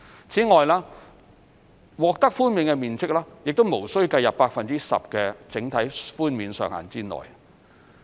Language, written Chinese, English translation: Cantonese, 此外，其獲豁免的面積亦無須計入 10% 整體寬免上限之內。, The exempted area will also not be subject to the overall 10 % cap on GFA concessions